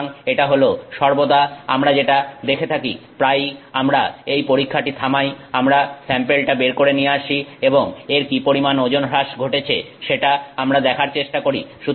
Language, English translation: Bengali, So, this is what we see and ever so often we stop this test, we take the sample and we look for what weight loss has happened and we see